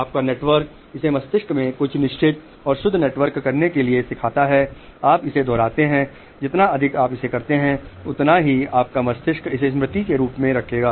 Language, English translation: Hindi, You do something, your network learns to do it, certain network in the brain, you repeat it, the more you do it the more your brain will keep it as a memory